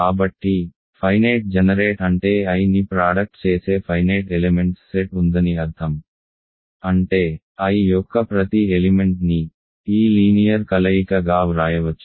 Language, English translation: Telugu, So, finitely generated simply means that there is a finite set of elements which generate I, meaning every element of I can be written as a linear combination of this ok